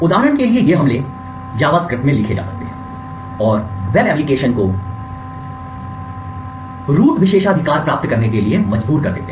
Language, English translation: Hindi, mount several different attacks these attacks for example can be written in JavaScript and force web applications to obtain root privileges